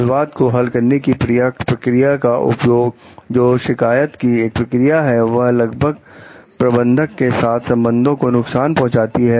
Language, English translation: Hindi, Using dispute resolution mechanism including a grievance procedures, will almost certainly damage relations with your manager